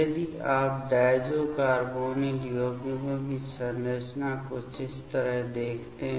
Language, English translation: Hindi, If you see the structure of this diazo carbonyl compounds something like this ok